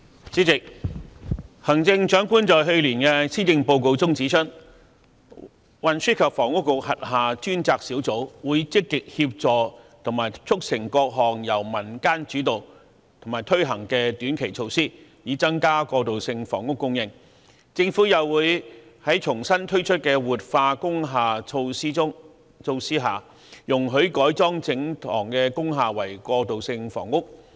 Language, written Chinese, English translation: Cantonese, 主席，行政長官在去年的《施政報告》中指出，運輸及房屋局轄下專責小組會積極協助和促成各項由民間主導和推行的短期措施，以增加過渡性住屋供應；政府又會在重新推出的活化工廈措施下，容許改裝整幢工廈為過渡性房屋。, President the Chief Executive CE pointed out in last years Policy Address that a task force under the Transport and Housing Bureau would actively render assistance to and facilitate the implementation of the various short - term community initiatives to increase the supply of transitional housing . The Government would also allow under the relaunched measures to revitalize industrial buildings wholesale conversion of industrial buildings into transitional housing